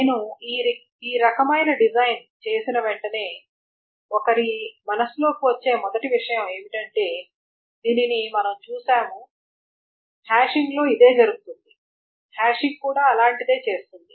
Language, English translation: Telugu, So as soon as I make this kind of design, the first thing that comes to one's mind is we have seen this and this is exactly what is being done in hashing